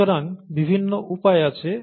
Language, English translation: Bengali, So there are various ways